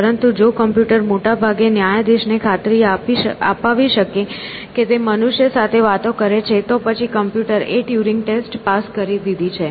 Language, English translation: Gujarati, But, if the computer can, most of the times convince the judge that the judge is talking to a human then the computer has passed the Turing test